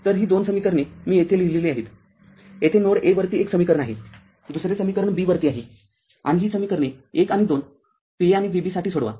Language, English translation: Marathi, So, those 2 equations I have written here, here is one equation at node a another equation at node b and solve this equation 1 and 2 for V a and V b